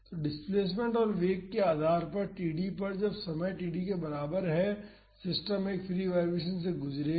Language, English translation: Hindi, So, depending upon the displacement and velocity at td time is equal to td, the system will undergo a free vibration